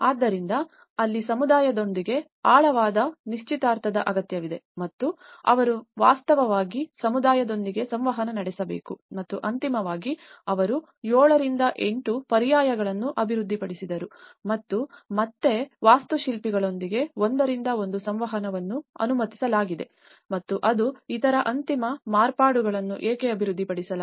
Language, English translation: Kannada, So, that is where a deeper engagement is required with the community and they have to actually interact with the community and finally, they developed over 7 to 8 alternatives and again and one to one interaction with the architects has been allowed and that is why even the other further final modifications have been developed